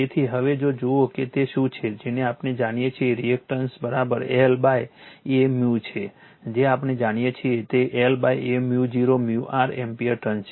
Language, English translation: Gujarati, So, now if you see that you are what you call that we know the reactance is equal to L upon A mu, that we know that is L upon A mu 0 mu r ampere turns